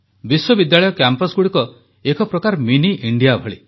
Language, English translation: Odia, University campuses in a way are like Mini India